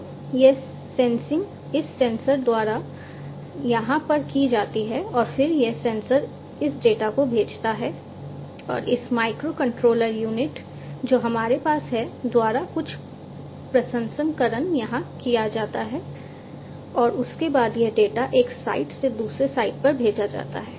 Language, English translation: Hindi, So, this sensing is done over here by this sensor and in then this sensor sends this data and some processing is done over here by this microcontroller unit that we have and thereafter this data is sent from one site to another site